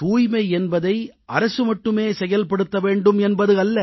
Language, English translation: Tamil, It is not for the government alone to maintain cleanliness